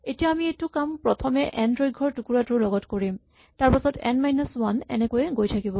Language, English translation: Assamese, And now we do this starting with the segment of the entire slice that is slice of length n then a slice of length n minus 1 and so on